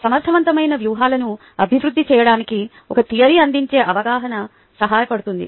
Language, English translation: Telugu, the understanding a theory provides can be helpful for developing effective strategies